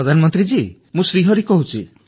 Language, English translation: Odia, Prime Minister sir, I am Shri Hari speaking